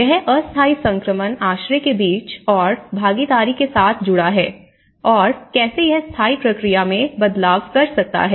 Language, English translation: Hindi, So, that is the link between the temporary transition shelter and with the participation and how it can actually make shift into the permanent process